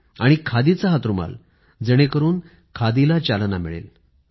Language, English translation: Marathi, And that too, a 'Khadi' handkerchief, so that it promotes 'Khadi'